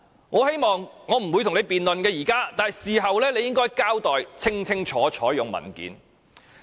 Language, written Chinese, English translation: Cantonese, 我現在不會與你辯論，但事後你應該用文件清楚交代。, I will not debate with you now . Yet you should explain this clearly in writing afterwards